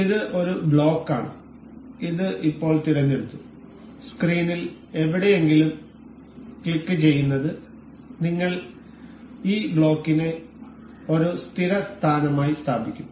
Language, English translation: Malayalam, This is a block, this is now selected and clicking anywhere on the screen we will place this block as a permanent position